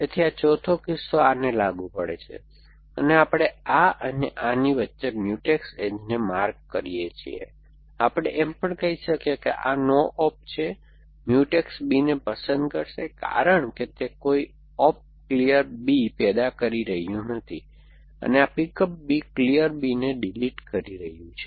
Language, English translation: Gujarati, So, this fourth case applies to this and we mark Mutex edge between this and this we can also say it that this no op is Mutex would pick up b because it no op is producing clear b and this pick up b is deleting clear b